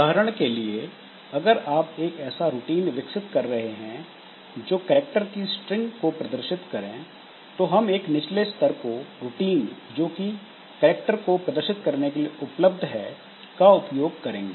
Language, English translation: Hindi, So, like that it, for example, if we are developing a routine for displaying a character string, so we will be using the lower level routine that is available for displaying a characters